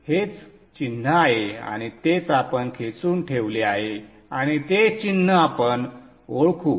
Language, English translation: Marathi, So this is the symbol and that is what we have pulled and kept it there